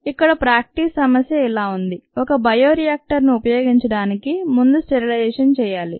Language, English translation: Telugu, ok, the practice problem here reads: a bioreactor needs to be sterilized before use